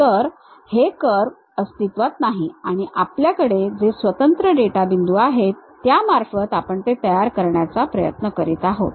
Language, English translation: Marathi, So, what is that curve does not exist what we have these discrete data points, from there we are trying to construct it